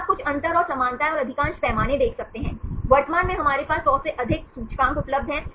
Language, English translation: Hindi, So, you can see some differences and similarities and most of the scales, currently we have more than 100 indices available